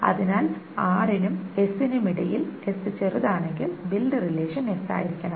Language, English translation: Malayalam, So between R and S, S is smaller, S should be the build relation